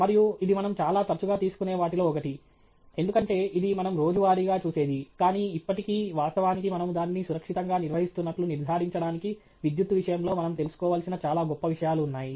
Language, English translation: Telugu, And it is one of the things that we most often tend to take for granted, because it is something we see on daily basis, but still actually there are very great many things that we have to be aware of with respect to electricity, to ensure that we handle it safely